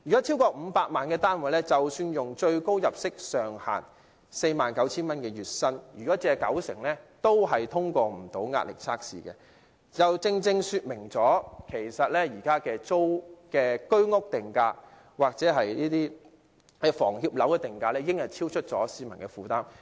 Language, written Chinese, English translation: Cantonese, 超過500萬元的單位，即使月薪達最高入息上限 49,000 元，借貸九成亦無法通過壓力測試，就正正說明現時居屋或房協樓宇的定價已超出市民的負擔。, To purchase a flat of over 5 million even if ones monthly salary reaches the maximum income limit of 49,000 he will still fail to pass the stress test for a mortgage of 90 % loan - to - value ratio . This clearly shows that HOS or HKHS housing have been priced beyond the affordability of the public